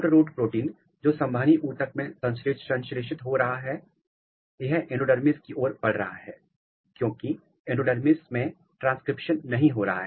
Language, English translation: Hindi, SHORTROOT protein which is getting synthesized in the vascular tissue it is moving to the endodermis because in endodermis transcription is not happening